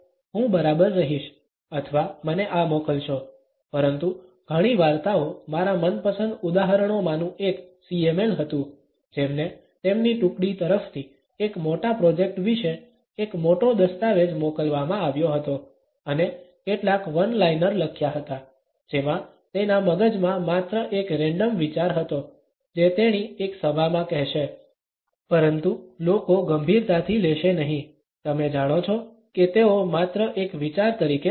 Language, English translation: Gujarati, I will be ok or send me this, but many stories one of my favourite examples was the CML, who was sent a big document from her team about a big project and write some one liner that has just a random thought she had on her head, that she would say in a meeting, but people would not take serious you know they would take as just an idea